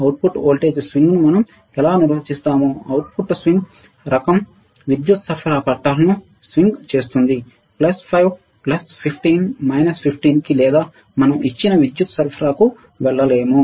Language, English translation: Telugu, Now, output voltage swing the output voltage, output voltage swing how we can define, the output kind swing all the way to the power supply rails right, cannot go all the way to plus 5 plus 15 minus 15 or whatever power supply we have given